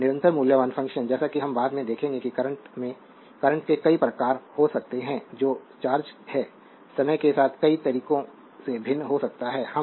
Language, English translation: Hindi, So, constant valued function as we will see later that can be several types of current that is your charge can be vary with time in several ways